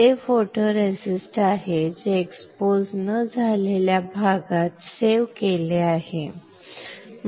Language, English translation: Marathi, This is photoresist which is saved in the area which was not exposed